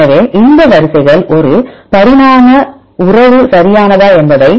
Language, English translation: Tamil, So, these sequences whether they have an evolution relationship right